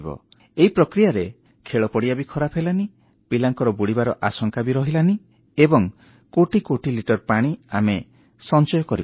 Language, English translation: Odia, This way the play ground remained unspoilt and there was no danger of children drowning in these… and we managed to save crores of litres of rainwater which fell on the playfield